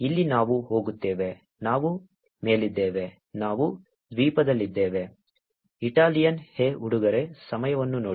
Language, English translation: Kannada, Here we go, we are up, we are in island, Italian hey guys